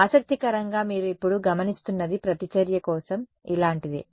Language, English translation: Telugu, Interestingly what you observe now is something like this for the reactance